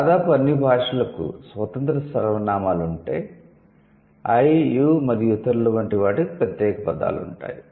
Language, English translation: Telugu, Almost all languages that have independent pronouns have separate words for I, U and other